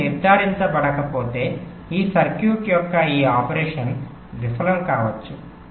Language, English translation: Telugu, so so if this is not ensured, your this operation of this circuit might fail, ok